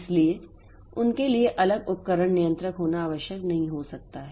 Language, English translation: Hindi, So, for them having separate device controllers may not be necessary